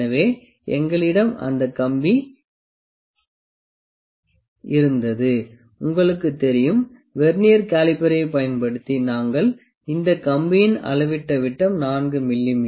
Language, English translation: Tamil, So, as you know we had that wire, the dia of which we measured using venire caliper this wire the dia of the wire is 4 mm